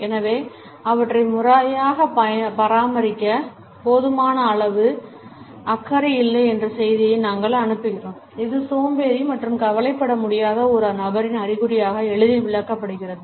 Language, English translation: Tamil, So, we send the message that we do not care about them enough to maintain them properly and this can be easily interpreted as an indication of a person who is lazy and cannot be bothered